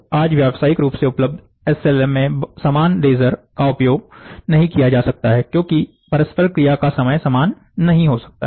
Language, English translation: Hindi, Today commercially available SLM, so the same laser cannot be used, the interaction time cannot be the same